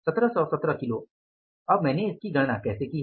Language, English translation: Hindi, Now how have calculated this 1 717 kgis